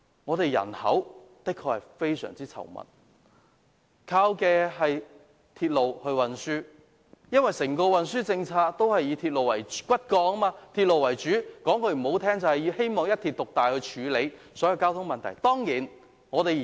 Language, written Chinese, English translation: Cantonese, 香港人口非常稠密，大部分人都依靠鐵路運輸，而香港的整體運輸政策以鐵路為骨幹，說得難聽一點，政府希望以一鐵獨大來處理所有交通問題。, Hong Kong is extremely densely populated and most people rely on railway transport services . Hong Kongs transport policy relies on the railway system as its backbone which means that the Government depends heavily on the dominating means of railway transport to address all traffic problems